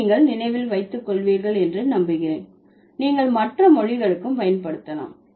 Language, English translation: Tamil, I hope you remember this and you can apply it to other languages also